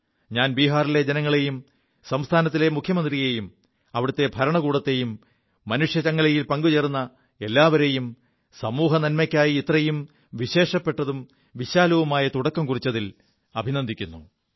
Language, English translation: Malayalam, I appreciate the people of Bihar, the Chief Minister, the administration, in fact every member of the human chain for this massive, special initiative towards social welfare